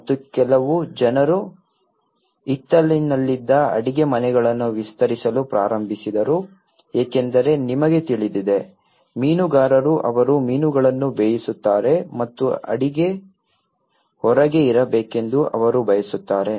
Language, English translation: Kannada, And some people they started expanding the kitchens in the backyard because you know, fishermans they cook fish and they want the kitchen to be outside